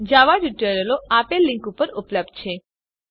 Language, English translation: Gujarati, Java tutorials are available at the following link